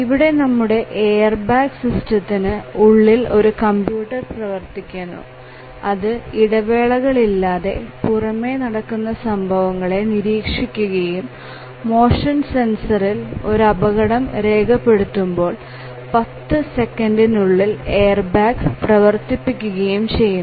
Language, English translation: Malayalam, So, here just look at it that there is a computer inside this airbag system which is continuously monitoring the events and as soon as the motion sensor indicates that there is a collision the computer acts to deploy the airbag within 10 millisecond or less